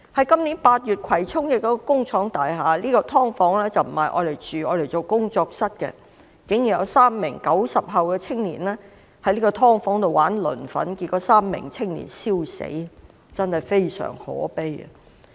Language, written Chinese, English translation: Cantonese, 今年8月，在葵涌一幢工廠大廈，竟然有3名 "90 後"青年在"劏房"——該"劏房"並非作住宅用途，而是用作工作室——玩磷粉，結果這3名青年燒死，真的非常可悲。, In August this year in a subdivided unit in a factory building in Kwai Chung―that subdivided unit was used as a studio rather than for residential purpose―three post - 90s unexpectedly played with phosphorus powder . In the end these three young people were burnt to death . How lamentable!